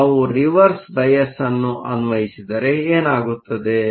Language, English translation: Kannada, So, what happens if we apply a Reverse bias